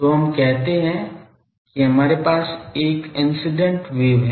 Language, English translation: Hindi, So, let us say that we have a incident wave